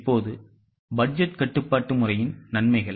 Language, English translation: Tamil, Now the advantages of budgetary control system